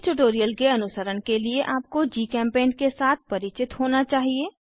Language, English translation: Hindi, To follow this tutorial, you should be familiar with GChemPaint